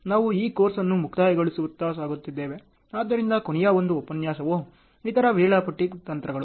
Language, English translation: Kannada, So, we are towards the closing of this course, so the last, but one lecture is Other Scheduling Techniques, ok